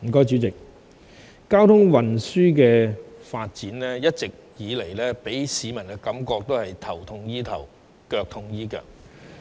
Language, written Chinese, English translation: Cantonese, 主席，交通運輸發展一直以來給市民的感覺是，頭痛醫頭，腳痛醫腳。, President as far as transport development is concerned people have long had the impression that the Government only introduces stop - gap measures